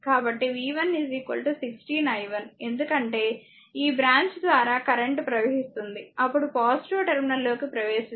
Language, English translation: Telugu, So, v 1 is equal to 16 i, 1 because is current flowing through this branch , then is a entering into the positive terminal